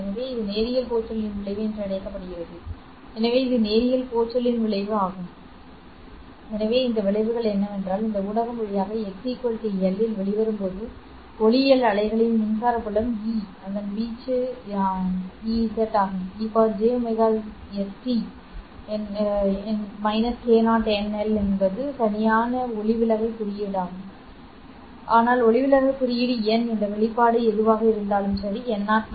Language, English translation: Tamil, So what does this effect imply to us is that the electric field of the optical wave after propagating through this medium when it comes out at x equal to l will become e0 its amplitude has not changed e par j omega s t minus k 0 n into l correct n is the refractive index but i know that the refractive index n is given by n0 minus half whatever this expression, correct